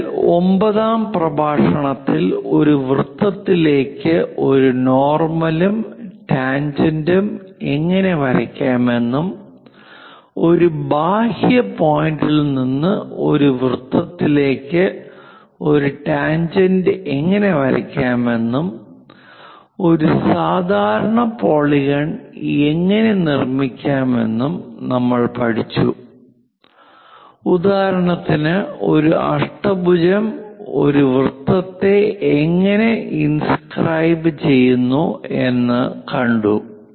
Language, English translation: Malayalam, So, in lecture 9 especially we covered how to drawnormal and tangent to a circle, how to draw a tangent to a circle from exterior point and how to construct a regular polygon for example, like octagon of given side circumscribeinscribed in a circle